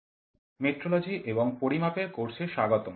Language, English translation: Bengali, Welcome to the course on metrology and measurements